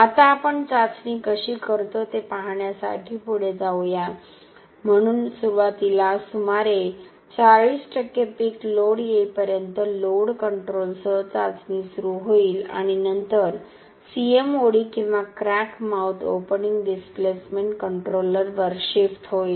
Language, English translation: Marathi, Now let us move on to see how we do the testing, so initially will start the test with load control till about around 40% of the peak load is reached and then will shift onto the CMOD or crack mouth opening displacement controller